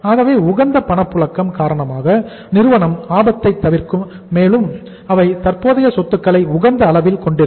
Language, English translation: Tamil, So firm will be avoiding the risk also because of the optimum liquidity and they will be having the optimum level of current assets also